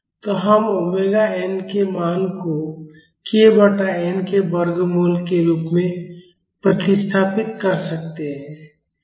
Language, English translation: Hindi, So, we can substitute the value of omega n as root of k by n